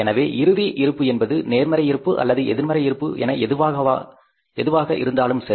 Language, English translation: Tamil, So, whatever the closing balance, whether positive balance or negative balance